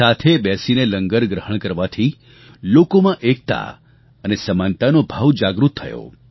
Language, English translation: Gujarati, Partaking of LANGAR together created a feeling of unity & oneness in people